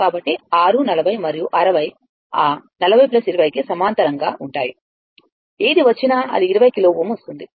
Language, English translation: Telugu, So, 6 40 and 60 are in parallel with that 40 plus 20, whatever it comes 20 kilo ohm right